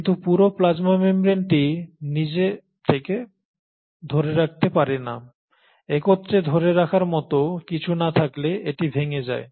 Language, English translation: Bengali, But then the whole plasma membrane cannot hold itself, it will end up collapsing unless there is something to hold it together